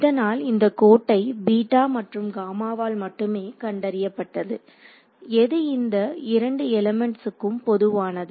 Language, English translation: Tamil, So, this from this line is detected purely by beta and gamma, which is common to both of these elements